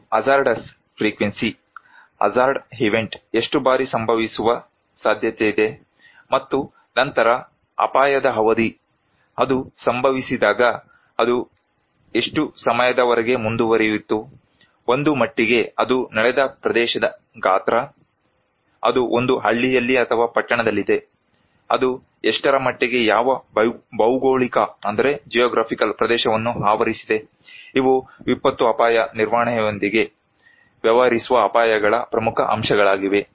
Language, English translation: Kannada, One is the frequency of the hazards; how often is the event likely to happen, and then is the duration of the hazard; the length of time that when it happened how long it continued, an extent; the size of the area where it took place, it is in a village or in a town, what extent, what geographical area it is covering so, these are important components of hazards will dealing with disaster risk management